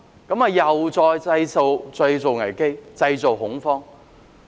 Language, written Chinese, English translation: Cantonese, 這樣又再次製造危機、製造恐慌。, This will create a crisis and panic again